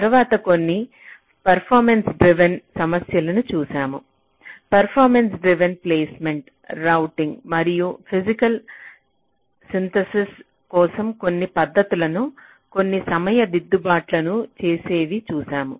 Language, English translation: Telugu, we looked at performance driven placement and routing and also some techniques for physical synthesis, how we can make some timing corrections